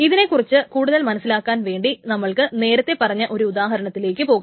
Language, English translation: Malayalam, Now let us just go back to the example that we did earlier to understand what is being happening